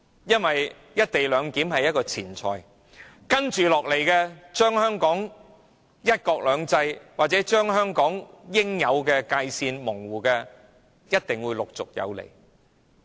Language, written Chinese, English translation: Cantonese, "一地兩檢"是前菜，模糊香港的"一國兩制"或應有的界線，一定會是主菜。, The co - location arrangement is an appetizer and blurring one country two systems or the proper boundary of Hong Kong will certainly be the main dish